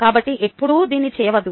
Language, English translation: Telugu, never do this